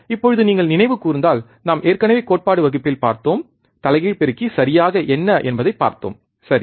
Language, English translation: Tamil, Now if you recall, we have already seen in the theory class, what exactly the inverting amplifier is right